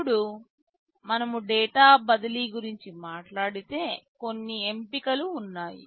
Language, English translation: Telugu, Now, when we talk about data transfer there are options